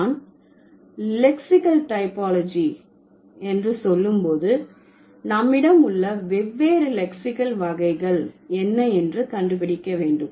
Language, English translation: Tamil, So, when I say lexical typology, then we need to find out what are the different lexical types that we have